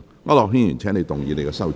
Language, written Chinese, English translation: Cantonese, 區諾軒議員，請動議你的修正案。, Mr AU Nok - hin you may move your amendment